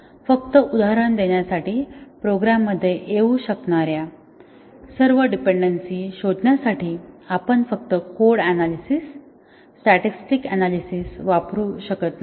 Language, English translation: Marathi, We cannot use just code analysis statistic analysis to find all the dependencies that may occur in a program just to give an example